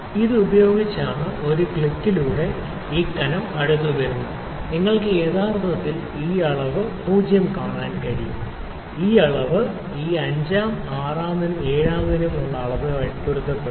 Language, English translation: Malayalam, If I do it using this, so, with one click and locking the nut this length comes this thickness comes to close to actually you can see this reading 0, first reading is coinciding this first reading is coinciding after this 5th 6th 7th 7